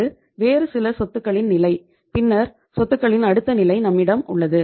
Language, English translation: Tamil, This is the level of assets which is some other assets and then the we have the next level of the assets